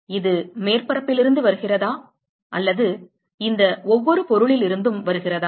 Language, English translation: Tamil, Is it coming from the surface or is it coming from each of these objects